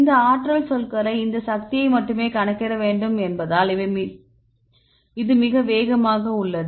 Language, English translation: Tamil, The advantage it is very fast because we need to calculate only this energy these energy terms